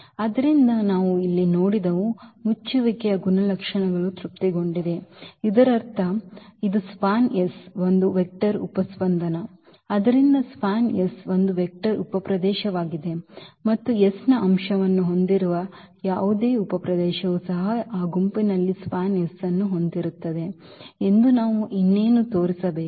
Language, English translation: Kannada, So, what we have seen here the closure properties are satisfied; that means, this is span S is a vector subspace so, span S is a vector subspace and what else we need to show that that any subspace containing the element of S is also that set will also contain a span S and the reason is clear because this is span S contains all the linear combinations